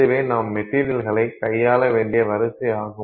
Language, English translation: Tamil, So, this is the sequence with which you have to deal with the material